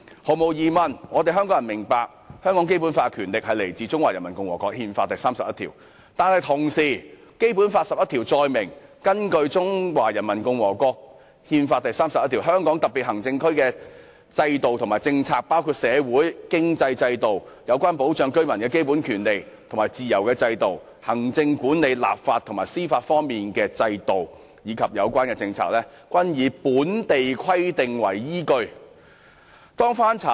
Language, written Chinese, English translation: Cantonese, 香港人當然明白《基本法》的權力來自《中華人民共和國憲法》第三十一條，但與此同時，《基本法》第十一條載明，"根據中華人民共和國憲法第三十一條，香港特別行政區的制度和政策，包括社會、經濟制度，有關保障居民的基本權利和自由的制度，行政管理、立法和司法方面的制度，以及有關政策，均以本法的規定為依據"。, Hong Kong people certainly understand that the power of the Basic Law is derived from Article 31 of the Constitution of the Peoples Republic of China but at the same time Article 11 of the Basic Law states that [i]n accordance with Article 31 of the Constitution of the Peoples Republic of China the systems and policies practised in the Hong Kong Special Administrative Region including the social and economic systems the system for safeguarding the fundamental rights and freedoms of its residents the executive legislative and judicial systems and the relevant policies shall be based on the provisions of this Law